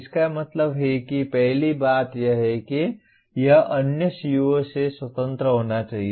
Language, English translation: Hindi, That means first thing is it should be independent of other CO